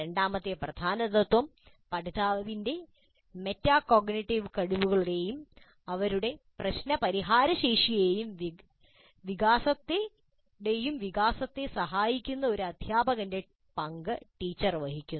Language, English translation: Malayalam, The second key principle is teacher plays the role of a tutor supporting the development of learners metacognitive skills and her problem solving abilities